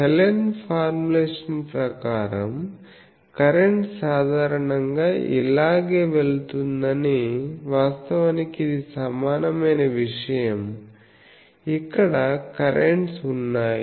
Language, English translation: Telugu, So, Hallen’s formulation says that current is typically going like this actually it is an equivalent thing there are currents here